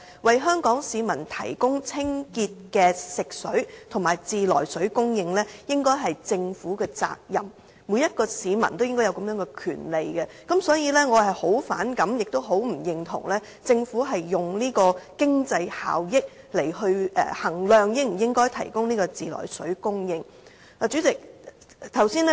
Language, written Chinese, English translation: Cantonese, 為香港市民提供清潔的食水和自來水供應，應該是政府的責任，每一名市民應該也享有這個權利，所以對政府以經濟效益來衡量應否提供自來水供應，我很反感，也很不認同。, The Government should be duty - bound to provide clean potable water and treated water supply to Hong Kong citizens . Every citizen should have such a right . Therefore I find it repulsive and very much disapprove of the Government determining whether or not to provide treated water supply on the basis of economic benefits